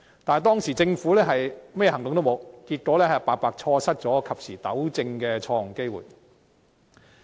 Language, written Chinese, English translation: Cantonese, 但是，當時政府未有採取任何行動，結果白白錯失及時補救的機會。, However the Government had not taken any action thus missing the opportunity to take timely remedial measures